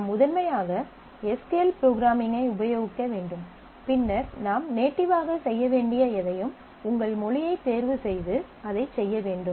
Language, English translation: Tamil, You should primarily restrict to SQL programming, and then anything that you need to do in the native, you should go to choose your language and do that